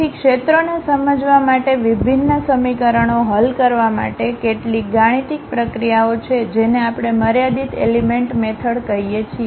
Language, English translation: Gujarati, So, there are certain mathematical processes to solve differential equations to understand the fields, which we call finite element methods